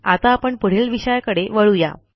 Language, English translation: Marathi, Okay, let us go to the next topic now